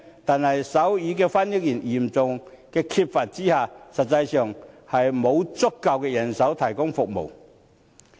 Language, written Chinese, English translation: Cantonese, 可是，手語翻譯員嚴重缺乏，實際上沒有足夠人手提供服務。, Nonetheless given the serious shortage of sign language interpreters there is actually insufficient manpower to provide the service